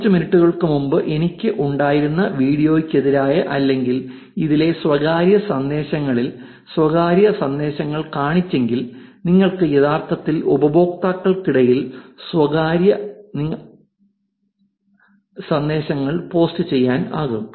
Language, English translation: Malayalam, If in the private messages against or this in the video that I had a few minutes before, which showed private messages also you can actually post private messages between the users